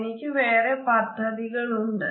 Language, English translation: Malayalam, I do not think so, and I have plans